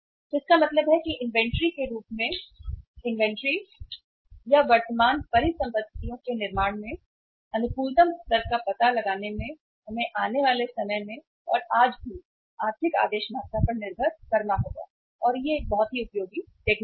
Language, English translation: Hindi, So it means finding out the optimum level of investment in the inventory or building of the current assets in the form of the inventory we will have to depend upon the economic order quantity even today in the time to come and this is a very useful technique